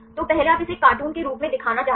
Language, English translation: Hindi, So, first you want to show this as a cartoon